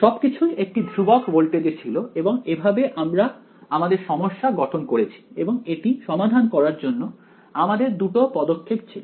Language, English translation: Bengali, So, everything was at a constant voltage and that is how we had set the problem up and in solving it we had two steps right